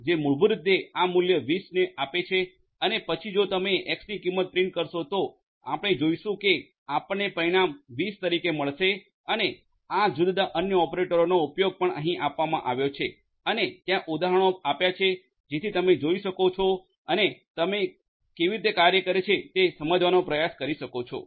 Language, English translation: Gujarati, So, X equal to ill just give you an example one of these X equal to 20 basically assigns this value 20 to X and then if you print the value of X you see that you get the result as 20 and these the use of these different other operators are also given over here and there examples given over here so you may go through and try to understand how they work